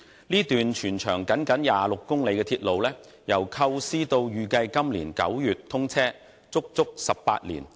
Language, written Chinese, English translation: Cantonese, 這段全長僅26公里的鐵路，由構思到預計今年9月通車，足足花了18年。, It has taken as long as 18 years for this railway of only 26 km in length to take shape from conception to scheduled commissioning this September